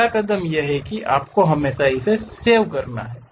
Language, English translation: Hindi, The first step is you always have to save it